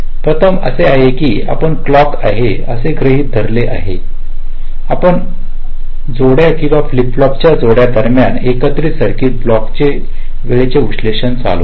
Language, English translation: Marathi, first is that we assume that there is a clock and we run timing analysis on the combination circuit block between pairs of registers of flip flops